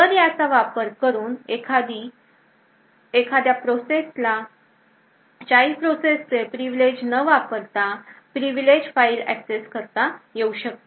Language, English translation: Marathi, So using this we would be able to let a particular process access a privilege file without requiring to escalate a privilege of the child process itself